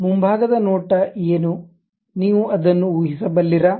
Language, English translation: Kannada, What is the front view, can you guess it